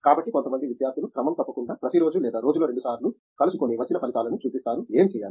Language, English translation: Telugu, So, some student will regularly meet, everyday or twice in a day and come and show the results, what to do